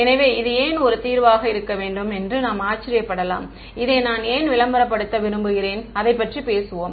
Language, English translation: Tamil, So, we may wonder why should this be a solution why should I want to promote this we will talk about that